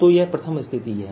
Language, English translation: Hindi, so this is second situation